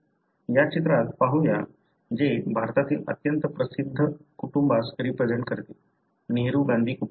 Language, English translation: Marathi, Let us look into this picture which represents the very famous family in India, the Nehru Gandhi family